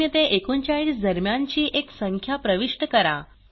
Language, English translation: Marathi, Press Enter Enter a number between of 0 to 39